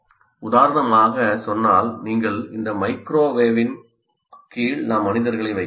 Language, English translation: Tamil, For example, if you say here under microwave microwave we have put humans here